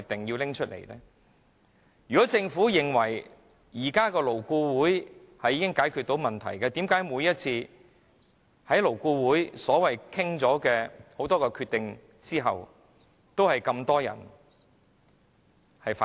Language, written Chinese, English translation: Cantonese, 如果政府認為現時的勞顧會可以解決問題，為何每次經勞顧會商討得出的決定，都有這麼多人反對？, If the Government believes that the existing LAB is an effective mechanism for solving problems how come the decisions made after negotiation are met with strong objection?